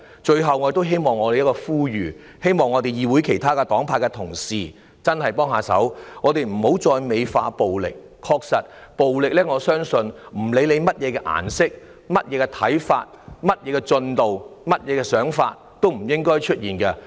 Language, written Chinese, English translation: Cantonese, 最後，我作出呼籲，希望議會內其他黨派的同事真的要幫幫忙，不要再美化暴力，不論大家屬於甚麼顏色、有何看法、事態進展為何，暴力也不應出現。, Lastly I call on Honourable colleagues of other political affiliations in the Council to really do us a favour and stop embellishing violence . Regardless of what colour we support what views we hold and how the situation has developed violence should never appear . Violence cannot resolve any problem